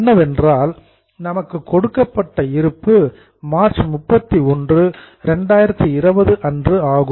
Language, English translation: Tamil, We were given list of balances as on 31 March 2020